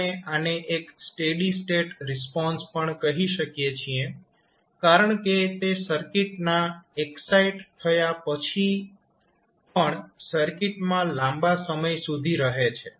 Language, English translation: Gujarati, We also say this as a steady state response because it remains for a long time period after the circuit is excited